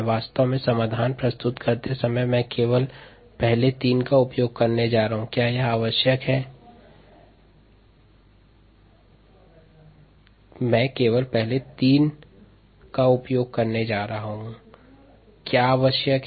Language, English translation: Hindi, in fact, while ah presenting the solution, i am going to use only the first three: what is needed, what is given or known